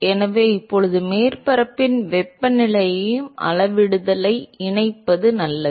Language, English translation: Tamil, So, now, it is better to incorporate the temperature of the surface also in the scaling